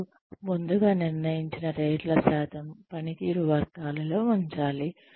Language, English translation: Telugu, You place, predetermined percentage of ratees into performance categories